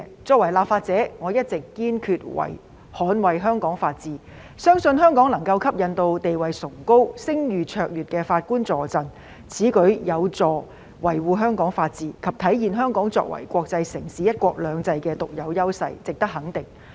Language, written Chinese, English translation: Cantonese, 作為立法者，我一直堅決捍衞香港法治，相信香港能夠吸引地位崇高、聲譽卓越的法官助陣，此舉有助維護香港法治及體現香港作為國際城市和奉行"一國兩制"的獨有優勢，值得肯定。, As a legislator I have always been determined to uphold the rule of law in Hong Kong and I believe Hong Kong can attract judges of eminent standing and reputation to assist us . This move which is conducive to upholding the rule of law in Hong Kong and manifesting Hong Kongs unique advantage as an international metropolis practising one country two systems merits recognition